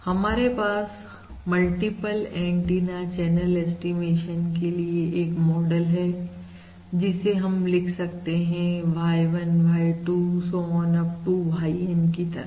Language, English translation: Hindi, this is a system model for multiple antenna channel estimation where Y1, Y2… so on up to YN